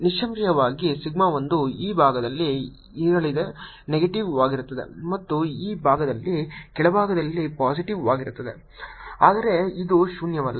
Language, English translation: Kannada, suddenly, sigma one is going to be on this side, is going to be negative, and on this side is going to be positive and lower side, but it is non zero